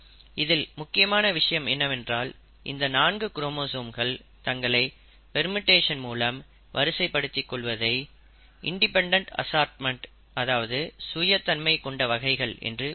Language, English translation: Tamil, The point is, these four chromosomes can arrange themselves in permutations and that itself is called as independent assortment